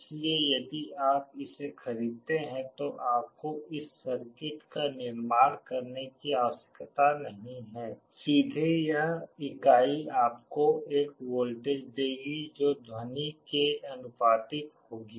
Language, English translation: Hindi, So, if you buy it you need not have to construct this circuit, directly this unit will give you a voltage that will be proportional to the sound